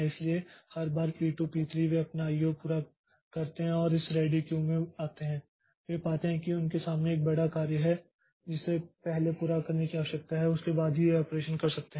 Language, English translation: Hindi, So, every time P1, every time P2, P3 they complete their IO and come to this Red this ready queue they find that there is a big job in front of them which needs to be completed first only after that it can do the operation